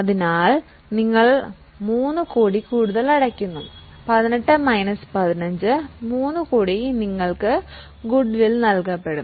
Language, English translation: Malayalam, So, you are paying 3 crore more, 18 minus 15, 3 crore more which you have paid will be considered as goodwill